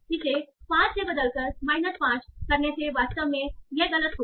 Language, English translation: Hindi, So changing it from plus 5 to minus 5 will actually be a mistake